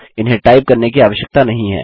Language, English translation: Hindi, No need to type them out